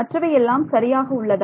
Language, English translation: Tamil, Are the other ones alright